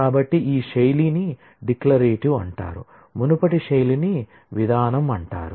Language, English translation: Telugu, So, this style is known as declarative whereas, the earlier style is known as procedure